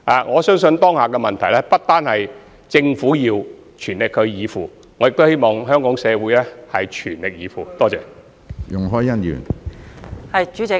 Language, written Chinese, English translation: Cantonese, 我相信當下的問題，不單政府需要全力以赴，亦希望香港社會各階層也全力以赴。, In my view the current problems can only be solved if different sectors of Hong Kong are willing to go all out with the Government